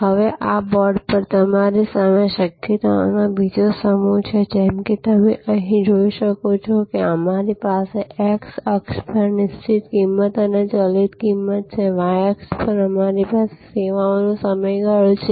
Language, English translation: Gujarati, Now, on this, on the board you have another set of possibilities, as you can see here we have fixed price and variable price on the x axis, on the y axis we have the duration of the service